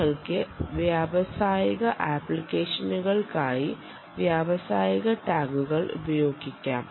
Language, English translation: Malayalam, and you can have industrial tags for industrial applications